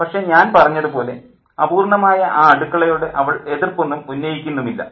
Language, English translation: Malayalam, But as I said, she doesn't raise an objection to an imperfect kitchen